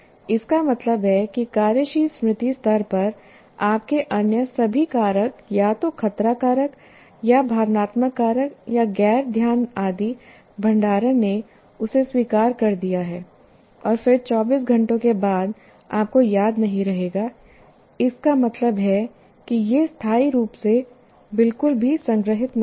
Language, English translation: Hindi, That means at the working memory level, all your other factors, either a threat factor or emotional factor or non attention, whatever it is that it has rejected that and then after 24 hours you will not, one doesn't remember